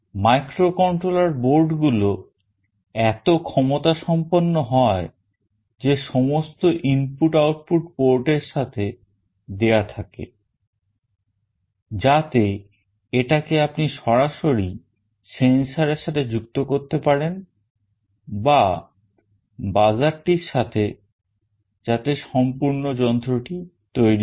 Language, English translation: Bengali, The microcontroller boards are so powerful that all input output ports come along with it, such that you can actually connect directly with a sensor, with the buzzer etc